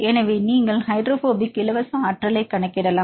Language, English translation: Tamil, So, you can calculate the hydrophobic free energy